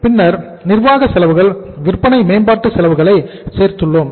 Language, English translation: Tamil, Then we have added the sales promotion expenses